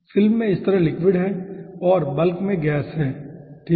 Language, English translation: Hindi, okay, liquid is there in this side in the film and gas is there in the bulk